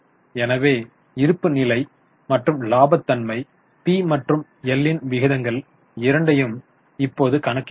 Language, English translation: Tamil, So, we have now calculated both balance sheet and profitability P&L ratios